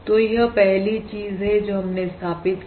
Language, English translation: Hindi, So that is the 1st thing that we have established